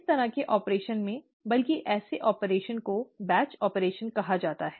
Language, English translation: Hindi, In such an operation, rather such an operation is called a batch operation